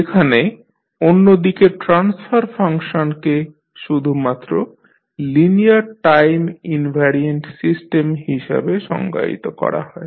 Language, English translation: Bengali, While transfer function on the other hand are defined only for linear time invariant system